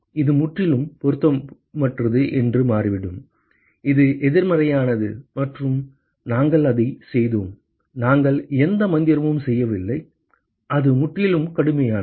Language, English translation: Tamil, It just turns out that it is completely irrelevant, it is counterintuitive and it is we have done it we have not done any magic here it is completely rigorous